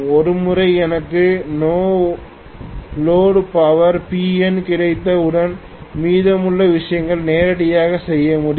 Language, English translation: Tamil, Once I get the P no load I can do rest of the things directly